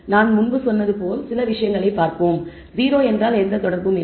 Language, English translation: Tamil, Let us look at some of the things as I said 0 means no association